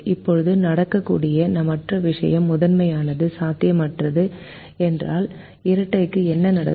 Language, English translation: Tamil, now the other thing that can happen: if the primal itself is infeasible, what'll happen to the dual